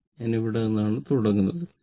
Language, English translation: Malayalam, I is starting from here right